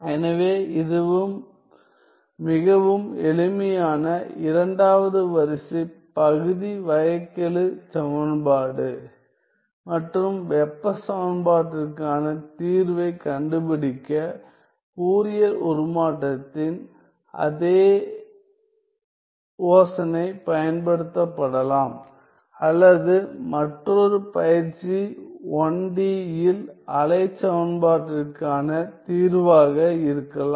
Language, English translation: Tamil, So, this is a very simple second order partial differential equation and the same idea of Fourier transform can be used to find the solution to the heat equation or another exercise could be the solution to the wave equation in 1 D